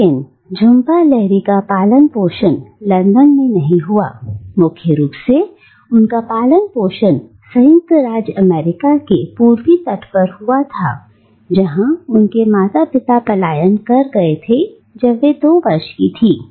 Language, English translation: Hindi, But Jhumpa Lahiri was not really brought up in England, she was raised primarily in the East coast of United States where her parents migrated when she was only two